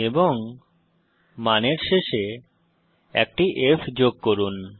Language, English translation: Bengali, And add an f at the end of the value